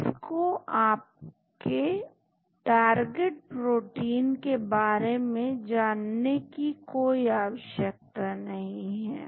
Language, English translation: Hindi, So, it does not require any idea about your target protein